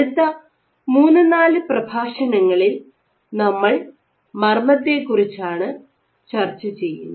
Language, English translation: Malayalam, So, over the next 3, 4 lectures we will discuss about the nucleus